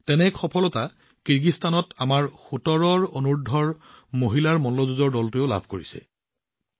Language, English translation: Assamese, One such similar success has been registered by our Under Seventeen Women Wrestling Team in Kyrgyzstan